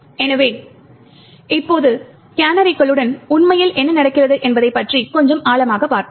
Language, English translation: Tamil, So, now let us dwell a little more deeper into what actually happens with canaries